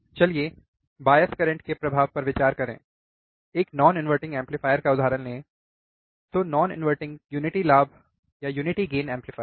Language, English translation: Hindi, Ah so, let us consider the effect of bias currents, if you could take a non inverting amplifier, non inverting unity gain amplifier